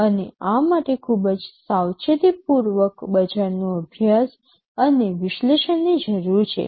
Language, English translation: Gujarati, And this requires very careful market study and analysis